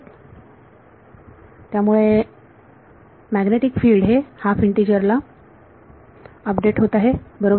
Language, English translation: Marathi, So, then the magnetic field is updated at half integer right